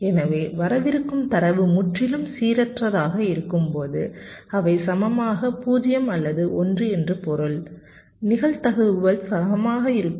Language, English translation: Tamil, so when the data which is coming is totally random, which means they are equally zero or one, the probabilities are equal